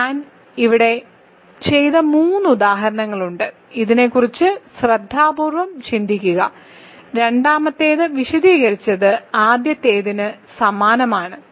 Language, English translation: Malayalam, So, there are three examples that I have done here please think about this carefully; first one I explained second one is very similar to the first one